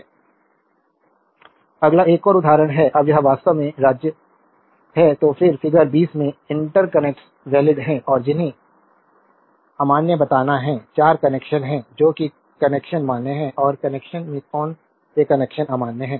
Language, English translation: Hindi, Next is another example now this is actually state which interconnects in figure 20 are valid and which are invalid you have to tell, there are 4 connections that which connections are valid and which connections are in connections are invalid